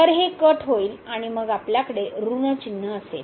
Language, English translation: Marathi, So, this gets cancelled and then we have with minus sign